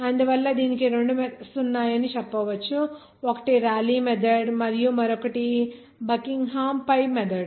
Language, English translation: Telugu, So for that this I told that two methods are there that One is Raleigh method and another is Buckingham pi method